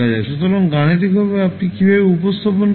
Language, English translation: Bengali, So, mathematically, how will you represent